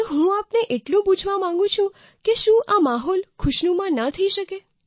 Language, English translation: Gujarati, So I just want to ask you this, can't this be transformed into a pleasant atmosphere